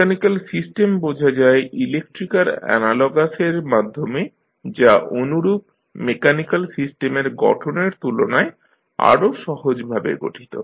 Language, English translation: Bengali, So, the mechanical system can be studied through their electrical analogous, which may be more easily structured constructed than the models of corresponding mechanical systems